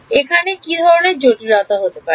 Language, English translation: Bengali, What kind of complications might be here